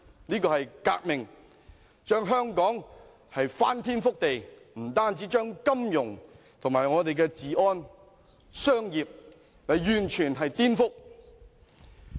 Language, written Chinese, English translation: Cantonese, 這是一次革命，令香港翻天覆地，除金融外，還將我們的治安、商業完全顛覆。, It was a revolution that turned Hong Kong upside down . In addition to our finance it has completely subverted social order and commerce